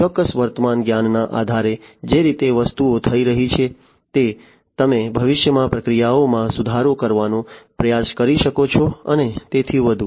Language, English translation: Gujarati, The way things are happening based on certain existing knowledge you can try to improve upon the processes in the future and so on